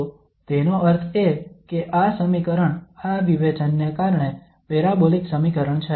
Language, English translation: Gujarati, So that means this equation is a parabolic equation because of this discriminant